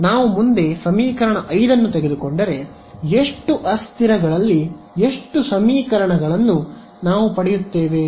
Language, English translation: Kannada, Before we further if I take equation 5 over here how many equations in how many variables will I get